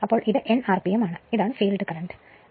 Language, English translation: Malayalam, So, this is your n rpm and this is your field current right